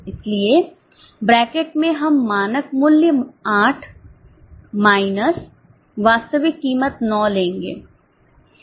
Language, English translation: Hindi, So, in bracket we will take standard price 8 minus actual price 9